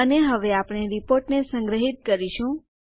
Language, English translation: Gujarati, And, now, we will save the report